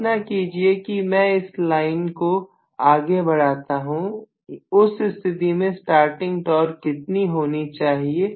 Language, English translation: Hindi, Imagine if I had extended this line, how much would have been the starting torque